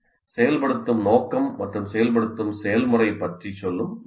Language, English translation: Tamil, So this is the most appropriate way of saying about the purpose of activation and the process of activation